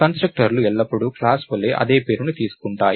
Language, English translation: Telugu, The constructors always take the same name as the class